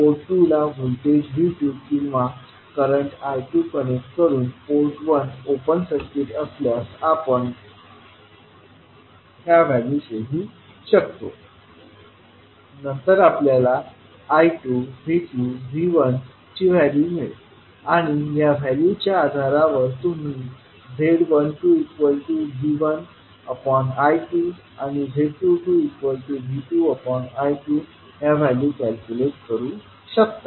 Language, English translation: Marathi, You will connect voltage V2 or current I2 to port 2 and keep port 1 open circuited, then, you will find the value of I2, V2 and V1 and based on these values you can calculate the value of Z12 as V1 upon I2 and Z22 as V2 upon I2